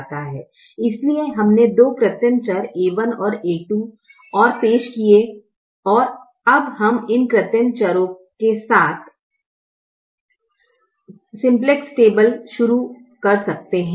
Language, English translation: Hindi, so introduced two artificial variables, a one and a two, and now we can start the simplex table with these artificial variables